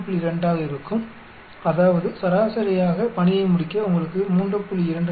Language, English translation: Tamil, 2 that means, on an average it will take you 3